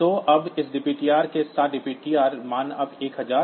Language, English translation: Hindi, So, now, with this dptr is now dptr value is now 1001